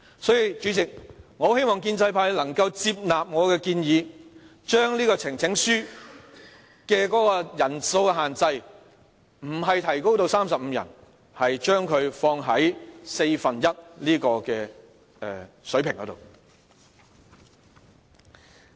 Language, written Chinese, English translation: Cantonese, 所以，主席，我很希望建制派能夠接納我的建議，將呈請書的人數限制，不是提高至35人，而是放在四分之一的水平上。, President I hope the pro - establishment camp can accept my advice . I hope that instead of raising the number of Members supporting a petition to 35 they can pitch at just one fourth of all Members